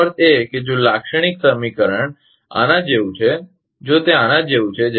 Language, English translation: Gujarati, That means, if the characteristic equation is like this, if it is like this